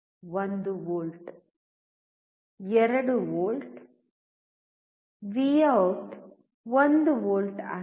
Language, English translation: Kannada, 1 volt, 2 volts, Vout is 1 volt